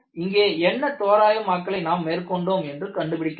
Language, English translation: Tamil, You have to find out, what approximations we have done